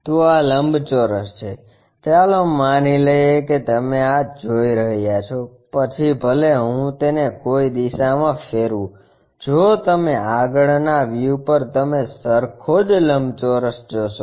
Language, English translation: Gujarati, So, this is the rectangle let us assume that you are seeing this, even if I rotate it in that direction same rectangle at the front view you see